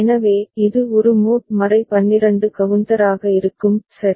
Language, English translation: Tamil, So, it will be a mod 12 counter, right